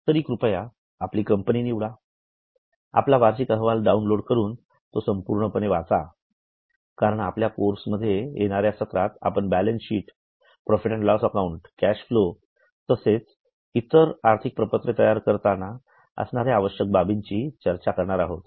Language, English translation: Marathi, So, please choose your company, download your annual report, read it, go through it because in our course, in coming lectures, we are going to discuss about balance sheet, P&L, cash flow, some more requirements of preparation of financial statements, all this should not be theoretical